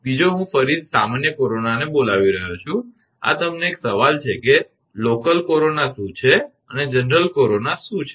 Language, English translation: Gujarati, Another I am calling general corona again this is a question to you what is local corona and what is general corona